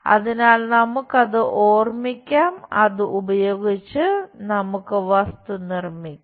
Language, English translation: Malayalam, So, just recall that using that we will construct the object